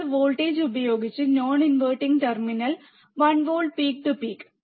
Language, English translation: Malayalam, And you have applied voltage at the non inverting terminal one volt peak to peak